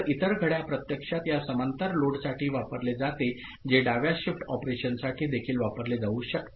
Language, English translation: Marathi, So, the other clock is actually used for this parallel load which can be also used for left shift operation